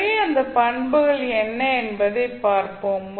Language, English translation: Tamil, So, let us see what are those properties